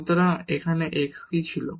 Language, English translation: Bengali, So, what was x here